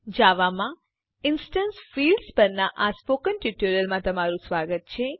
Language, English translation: Gujarati, Welcome to the Spoken Tutorial on Instance Fields in Java